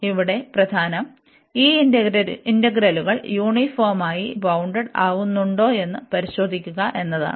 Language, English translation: Malayalam, So, what is important here the important is to check that these integrals here, they are uniformly bounded